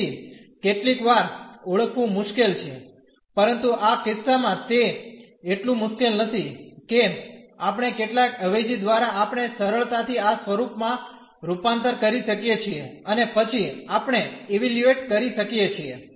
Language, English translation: Gujarati, So, sometimes difficult to recognize, but in this case it is not so difficult we by some substitution we can easily convert into this form and then we can evaluate